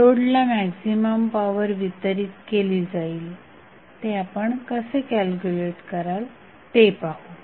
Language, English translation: Marathi, How you will calculate the maximum power which would be transferred to the load